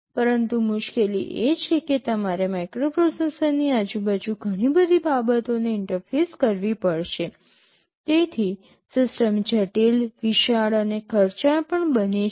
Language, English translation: Gujarati, But, the trouble is that since you have to interface so many things around a microprocessor, the system becomes complex, bulky and also expensive